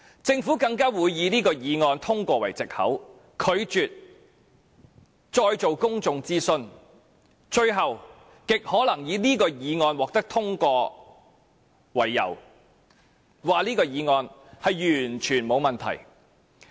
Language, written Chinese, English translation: Cantonese, 政府更會以這項議案已獲得通過為藉口，拒絕再進行公眾諮詢，最後極可能以這項議案獲得通過為由，指議案完全沒有問題。, The Government will also refuse to conduct any more public consultation on the excuse that this motion has been passed . Finally it will most likely claim that given its passage there is no problem with this motion at all